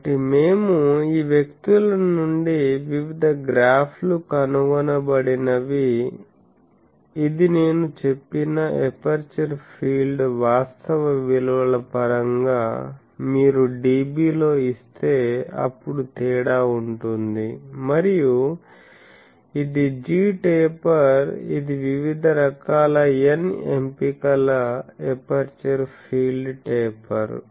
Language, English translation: Telugu, So, we can; so, from this people have found out that various graphs this this whatever I have said that aperture field in terms of actual values if you give it in dB then there will be difference and this is the g taper, this is the aperture field taper for various choice of n ok